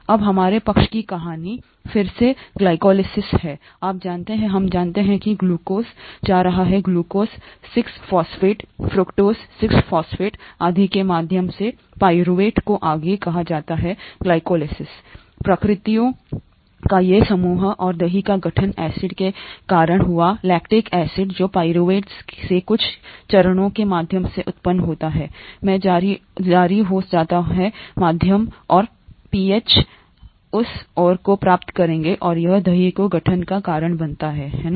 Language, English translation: Hindi, Now our side story here is glycolysis again, you know, we know that glucose going to pyruvate through glucose 6 phosphate, fructose 6 phosphate and so on so forth, is called glycolysis, these set of reactions and the curd formation happened because of the acid, the lactic acid that is produced from pyruvate through a couple of steps, gets released into the medium and the pH we will get to that and this causes curd formation, right